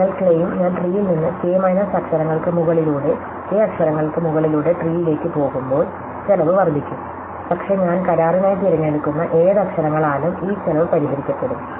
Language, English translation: Malayalam, So, the claim is when I go from the tree over k minus 1 letters to the tree over k letters, the cost is going to increase, but this cost is going to be fixed by whichever letters I choose to contract